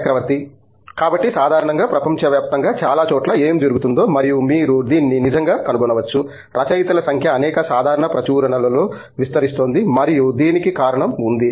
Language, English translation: Telugu, So, typically what is happening across the world in many places and you might find this actually, the number of authors is kind of proliferating in many general publications for and there is reason for this